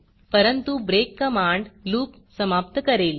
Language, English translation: Marathi, The break command, however, terminates the loop